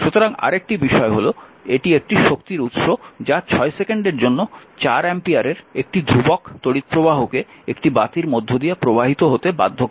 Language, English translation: Bengali, So, and another thing is and a energy source your forces a constant current of 4 ampere for 6 second to flow through a lamp